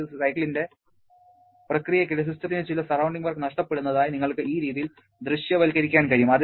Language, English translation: Malayalam, You can visualize this way that during one process of the cycle, the system may be losing some surrounding work